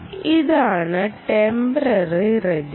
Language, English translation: Malayalam, this is the temporary register